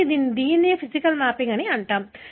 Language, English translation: Telugu, So, this is called as physical mapping